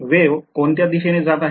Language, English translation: Marathi, Wave is going in which direction